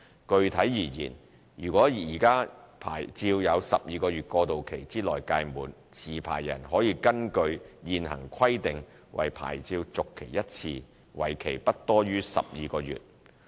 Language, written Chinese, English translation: Cantonese, 具體而言，如果現有牌照在12個月過渡期之內屆滿，持牌人可根據現行規定為牌照續期1次，為期不多於12個月。, Specifically if their licences expire within the 12 - month transitional period licensees may renew their licences once for a period not exceeding 12 months based on the existing requirements